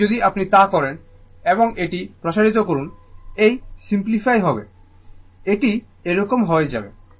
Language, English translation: Bengali, And if you do, so and expand it, it will it will simplify, it will become like this